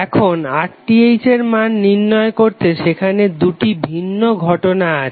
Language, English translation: Bengali, Now to find out the value of RTh there are two different cases